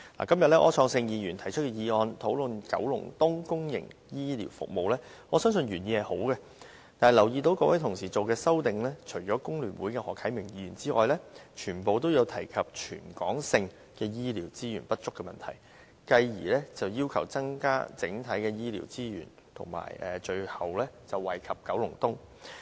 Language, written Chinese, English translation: Cantonese, 今天柯創盛議員提出議案，討論九龍東公營醫療服務，我相信原意是好的，但我注意到，各位同事提出的修正案，除了香港工會聯合會的何啟明議員之外，全部均提及全港性醫療資源不足的問題，繼而要求增加整體醫療資源，最後惠及九龍東。, I believe the original intention of the motion proposed by Mr Wilson OR today to discuss public healthcare services in Kowloon East is good . However I note that all Honourable colleagues proposing the amendments except Mr HO Kai - ming from the Hong Kong Federation of Trade Unions mentioned the problem of inadequate healthcare resources territory - wide and then appealed for increasing healthcare resources overall with the ultimate goal of benefiting Kowloon East